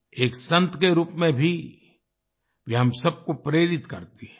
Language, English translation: Hindi, Even as a saint, she inspires us all